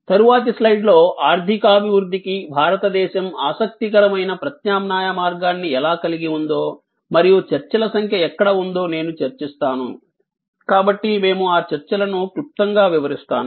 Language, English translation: Telugu, I will discuss that maybe in the next slide, that how India has an interesting alternate path of economy development and where there are number of debates, so we will briefly touch up on those debates